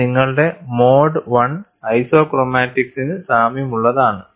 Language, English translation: Malayalam, And this is very similar to your mode one isochromatics